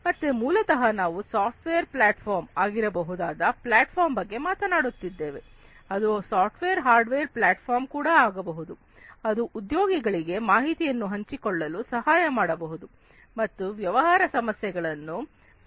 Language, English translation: Kannada, So, basically we are talking about a platform which can be a software platform, which can be a software hardware platform, which helps the in employees to share information and solve certain business problems